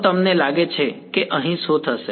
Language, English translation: Gujarati, So, what do you think will happen over here